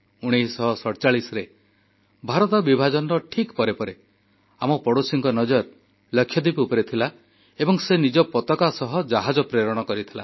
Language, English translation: Odia, Soon after Partition in 1947, our neighbour had cast an eye on Lakshadweep; a ship bearing their flag was sent there